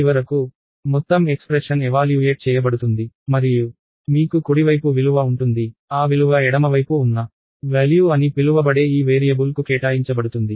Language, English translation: Telugu, And finally, the whole expression is evaluated and you have a value at the right hand side, that value is assigned to this variable called value which is on the left hand side